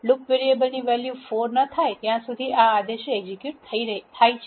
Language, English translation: Gujarati, These commands get executed until the loop variable has a value 4